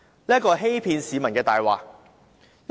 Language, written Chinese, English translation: Cantonese, 這是欺騙市民的謊言。, That was a lie to deceive the public